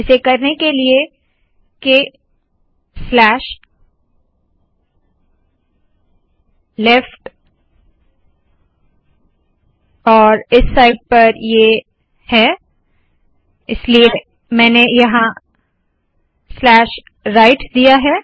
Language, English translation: Hindi, The way to do this is – K slash left and on this side I have this, so here I put slash right